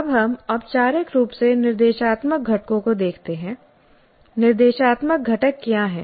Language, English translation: Hindi, Now we look at formally the instructional components